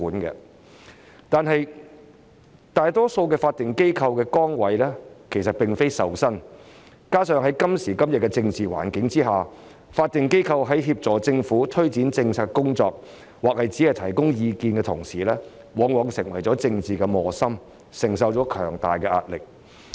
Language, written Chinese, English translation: Cantonese, 可是，大多數法定機構的崗位其實並非受薪，再加上在今時今日的政治環境下，法定機構在協助政府推展政策或提供意見時，往往成為政治磨心，承受強大壓力。, Nevertheless positions in statutory bodies are mostly unpaid . In addition in the current political environment when assisting the Government in the promotion of policies or offering advice statutory bodies are often sandwiched on the political front thus bearing heavy pressure